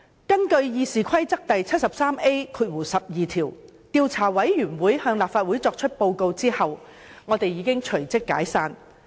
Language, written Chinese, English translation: Cantonese, 根據《議事規則》第 73A 條，調查委員會向立法會作出報告後已隨即解散。, In accordance with Rule 73A12 of the Rules of Procedure RoP IC was dissolved upon its submission of the report to the Council